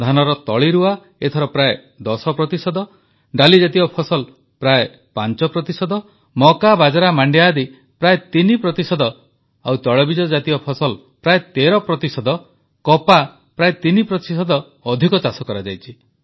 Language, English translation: Odia, The sowing of paddy has increased by approximately 10 percent, pulses close to 5 percent, coarse cereals almost 3 percent, oilseeds around 13 percent and cotton nearly 3 percent